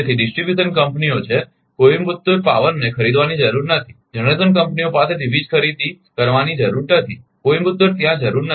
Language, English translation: Gujarati, So, distribution companies is Coimbatore need not buy need not ah buy power from the generation companies Coimbatore there is no need